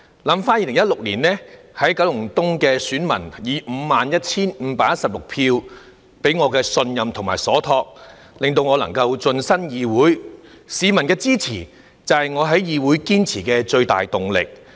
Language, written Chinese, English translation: Cantonese, 想起在2016年，九龍東的選民以 51,516 票託付給我的信任，令我能夠晉身議會，市民的支持就是我在議會堅持的最大動力。, Looking back in 2016 51 516 Kowloon East voters placed their trust on me making it possible for me to enter this Council as a Member . Their support has been the greatest motivation for my perseverance in this Council